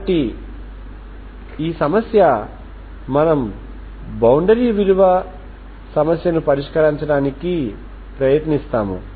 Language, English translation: Telugu, So this problem will work out so we will try to solve this boundary value problem okay